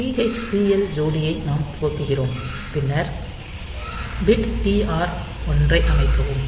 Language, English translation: Tamil, So, we are initializing this TH TL pair, then set bit TR 1